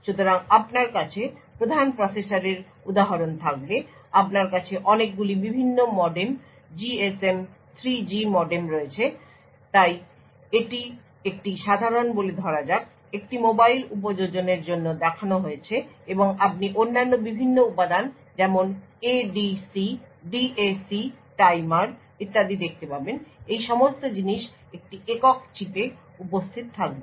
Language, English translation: Bengali, So you would have example the main processor you have a lot of different modems GSM 3G modem so this is shown for a typical say a mobile application and you would also see various other components such as ADC, DAC, timers and so on, so all of these things would be present in a single chip